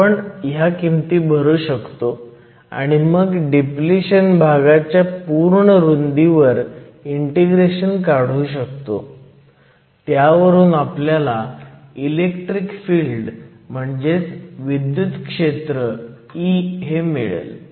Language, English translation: Marathi, We can substitute for this here and then integrate over the entire width of the depletion region to get the electric field E